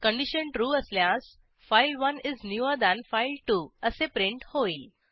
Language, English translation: Marathi, If the condition is true, we print file1 is newer than file2